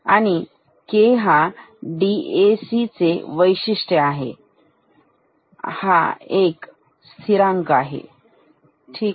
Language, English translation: Marathi, And this K is a property of this DAC, ok it is a constant, ok